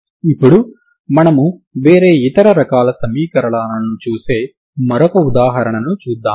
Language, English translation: Telugu, Now will see the other example where you see different other type of equation so will consider one more example